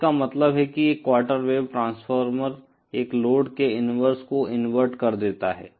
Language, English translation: Hindi, So, that means a quarter wave Transformer inverts a load to its inverse